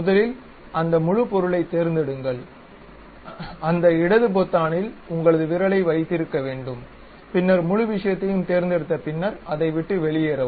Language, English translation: Tamil, First select that entire object select means keep your finger on that left button hold it, then select entire thing leave it